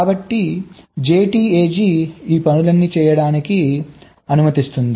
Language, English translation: Telugu, so jtag allows all this things to be done